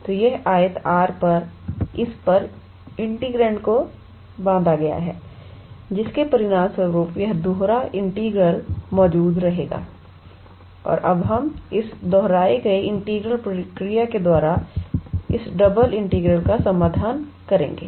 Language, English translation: Hindi, So, the integrand is bounded on this on this rectangle R and as a result of which, this double integral will exist and now we will treat this double integral by the by that repeated integral method